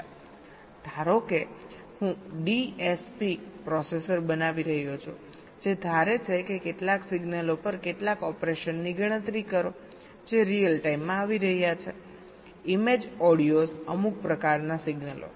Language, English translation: Gujarati, suppose i am building a dsp processor which is suppose to compute some operation on some signals which are coming in real time image, audios, some kind of signals